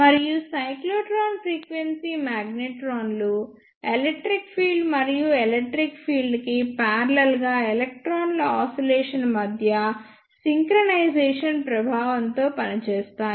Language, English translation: Telugu, And the cyclotron frequency magnetrons operates under the influence of synchronization between the electric field and the oscillation of electrons parallel to the electric field